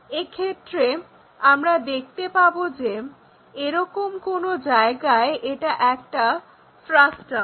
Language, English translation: Bengali, In that case what we will see is somewhere here it is a frustum